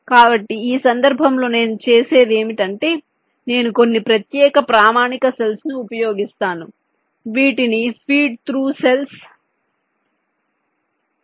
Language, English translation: Telugu, so what i do in this case is that i used some special standard cells, which are called feed though cells